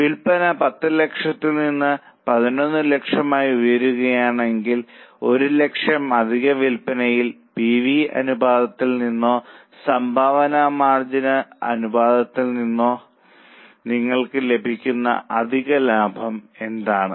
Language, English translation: Malayalam, If sales go up from 10 lakhs to 11 lakhs, on the extra 1 lakh of sales, what is a extra profit which you will earn that you get from PV ratio or contribution margin ratio